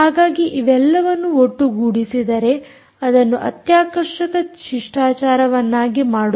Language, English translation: Kannada, so all of this put together makes it a very exciting protocol